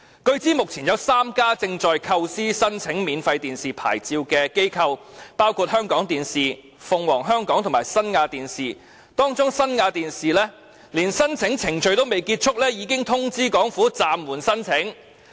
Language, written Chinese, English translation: Cantonese, 據知目前有3家機構正在構思申請免費電視牌照，包括香港電視網絡有限公司、鳳凰香港電視有限公司及新亞電視，當中新亞電視在申請程序尚未結束之際，已通知政府會暫緩提出申請。, It is noted that there are currently three companies planning to apply for a domestic free television programme service licence namely Hong Kong Television Network Limited Phoenix Hong Kong Television Limited and Forever Top Asia Limited . Among them Forever Top Asia Limited has already asked the Government to put on hold the processing of its application when the application procedures have not yet completed